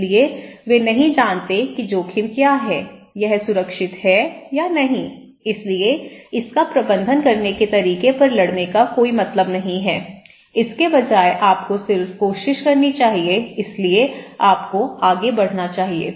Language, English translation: Hindi, So, they don’t know what is the risk okay, it is protected or not so, there is no point in fighting over how to manage it instead you should just try to roll with the punches so, you should go on